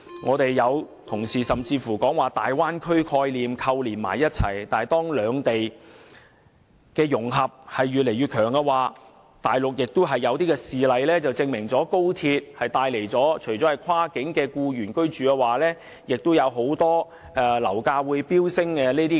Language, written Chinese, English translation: Cantonese, 有議員甚至把高鐵和大灣區概念扣連起來，但當兩地的融合越來越深，大陸已有事例證明高鐵會帶來跨境僱員居住和樓價飆升等問題。, Some Members have even linked up XRL and the Bay Area . And yet as the integration between two places deepens there are examples in the Mainland that XRL would give rise to accommodation problems of cross - boundary employees and soaring property prices